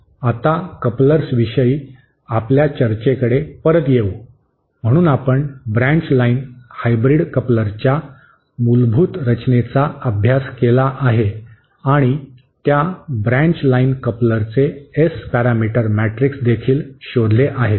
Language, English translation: Marathi, Now, coming back to our discussion on couplers, so we have studied the basic construction of the coupler of a branch line hybrid and we have also found out the S parameter matrix of that branch line coupler